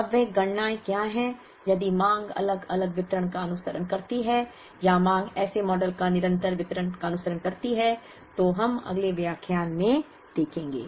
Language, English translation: Hindi, Now, what are those computations, if the demand follows different distributions or the demand follows a continuous distribution such models, we will see in the next lecture